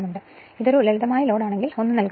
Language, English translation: Malayalam, But if it is a simple loadnothing is given